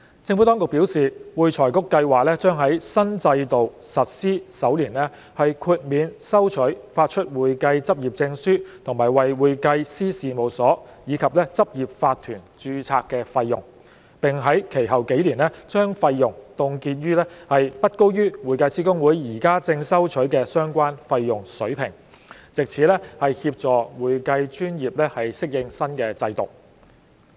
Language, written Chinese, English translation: Cantonese, 政府當局表示，會財局計劃將在新制度實施首年豁免收取發出會計執業證書和為會計師事務所及執業法團註冊的費用，並在其後數年將費用凍結在不高於會計師公會現正收取的相關費用水平，藉此協助會計專業適應新制度。, The Administration has advised that AFRC plans to exempt in the first year of implementation of the new regime the fees for the issue of practising certificate and the registration of firms and corporate practices of the accounting profession and freeze the fees for the first few years of implementation at a level no higher than that which is currently collected by HKICPA so as to assist the accounting profession to adapt to the new regime